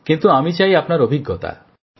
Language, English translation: Bengali, But I want this experience of yours